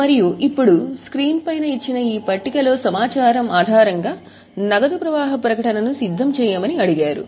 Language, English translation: Telugu, And now based on this figure information, we were asked to prepare cash flow statement